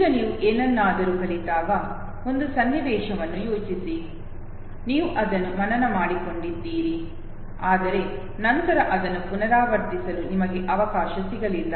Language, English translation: Kannada, Now think of a situation when you learn something, you memorized it, but then you did not get a chance to repeat it okay